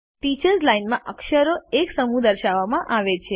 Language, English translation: Gujarati, A set of characters are displayed in the Teachers Line